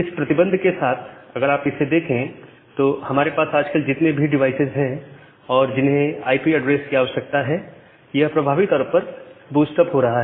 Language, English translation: Hindi, And with this limitation if you just think of the number of devices that we have now a days that require an IP address, it is significantly getting boosted up